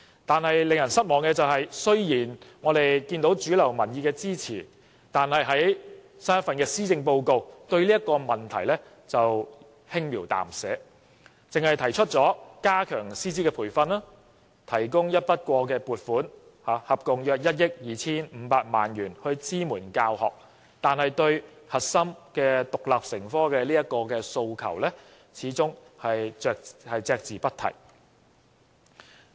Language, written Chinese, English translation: Cantonese, 不過，令人失望的是，雖然有主流民意的支持，但在新一份施政報告中卻對這問題輕描淡寫，只是提出加強師資培訓，以及提供合共約1億 2,500 萬元的一筆過撥款支援教學，而對於中史獨立成科的核心訴求，始終隻字不提。, But despite the support of mainstream public opinion little has been said about this matter in this years Policy Address which is most disappointing indeed . The only relevant proposals are namely to strengthen teachers professional development and to provide a one - off grant of about 125 million to support teaching efforts in this respect . Nothing has been mentioned about the fundamental call of teaching Chinese history as an independent subject